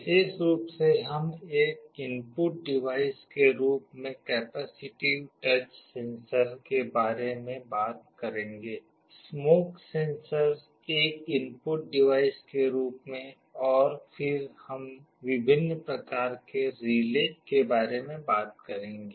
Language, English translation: Hindi, Specifically, we shall be talking about capacitive touch sensor as an input device, smoke sensor also as an input device, and then we shall be talking about different kinds of relays